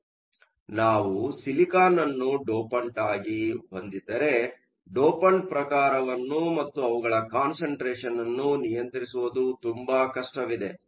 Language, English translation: Kannada, So, if we have silicon as a dopant, it is very hard to control the type of dopant and the concentration of dopants